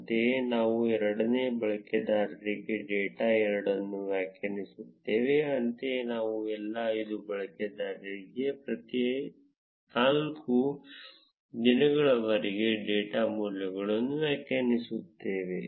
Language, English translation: Kannada, Similarly, we will define data 2 for the second user; similarly, we will define the data values for all the 5 users for each of the four days